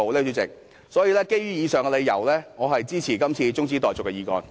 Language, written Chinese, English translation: Cantonese, 所以，主席，基於以上理由，我支持這次中止待續議案。, So President for the reasons above I support the adjournment motion